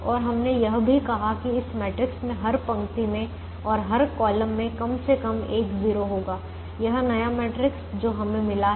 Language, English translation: Hindi, and we also said that this matrix will have atleast one zero in every row and in every column